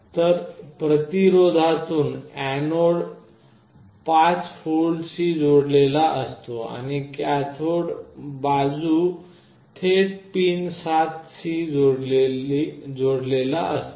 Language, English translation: Marathi, So, the anode end through a resistance is connected to 5V, and the cathode end is directly connected to pin 7